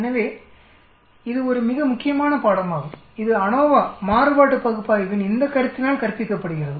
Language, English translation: Tamil, So it is a very important lesson and that is taught by this concept of ANOVA, analysis of variance